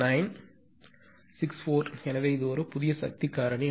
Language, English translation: Tamil, So, new power factor